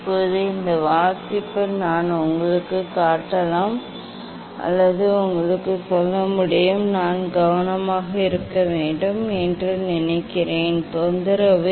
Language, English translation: Tamil, right now, this reading I can show you or tell you; I have up to use I think one has to be careful is disturbed is disturbed